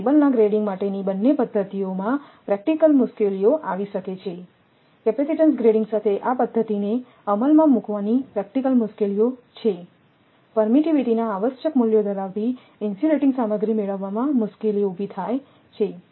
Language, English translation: Gujarati, So, both the methods for grading of cables involve practical difficulties there is there are practical difficulties of implementing this method with capacitance grading the difficulty exist in obtaining insulating materials having required values of permittivities